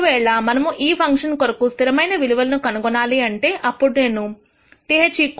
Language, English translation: Telugu, If we were to find a constant value for this function then I have to set this equal to k